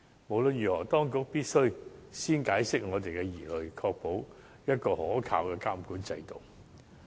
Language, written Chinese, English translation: Cantonese, 無論如何，當局必須先釋除我們的疑慮，確保有可靠的監管制度。, Anyway the authorities must first relieve our doubts and ensure the regulation system is reliable